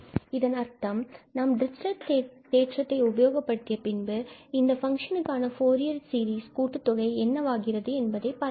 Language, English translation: Tamil, That means, we will just apply the Dirichlet theorem and we will see that what is the sum of the Fourier series for this function